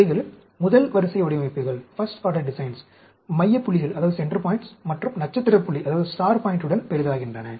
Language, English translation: Tamil, These are first order designs, with augmented with center points and star point